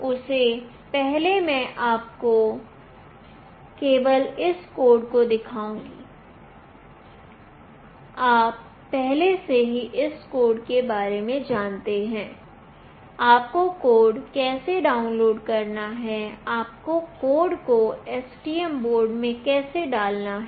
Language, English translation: Hindi, Prior to that I will just show you the code that is there for this one, you already come across with the codes, how you have to download the code, how you have to put the code into the STM board